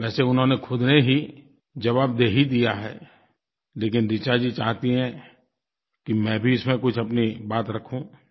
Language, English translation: Hindi, Although she herself has given the answer to her query, but Richa Ji wishes that I too must put forth my views on the matter